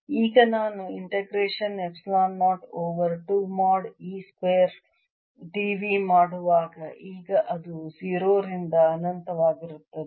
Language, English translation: Kannada, now, when i do the integration epsilon zero over two mod e square d v now it'll be from zero to infinity